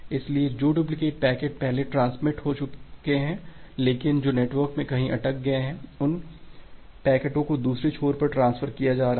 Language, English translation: Hindi, So the duplicate packets which have been transmitted earlier, but that got stuck somewhere in the network, now those packets have been being transferred to the other end